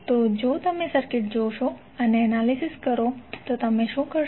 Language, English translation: Gujarati, So, if you see the circuit and analyse, what you will do